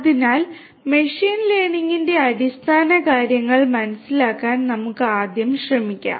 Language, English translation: Malayalam, So, let us first try to gets the ideas of the basics of machine learning